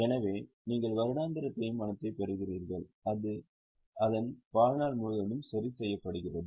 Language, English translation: Tamil, So, you get annual depreciation which remains fixed throughout its life